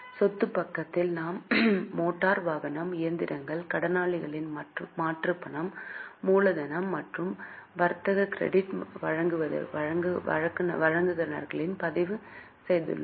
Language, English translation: Tamil, On asset side we have recorded motor vehicle, machinery, debtors and cash capital and trade creditors